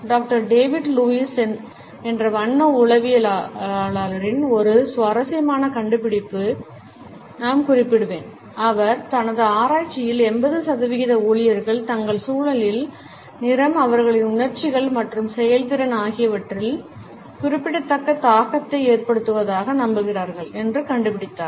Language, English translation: Tamil, Also I would refer to a very interesting finding of Doctor David Lewis, a color psychologist who has found in his research that about 80 percent employees believe that the color of their surroundings has a significant impact on their emotions and performance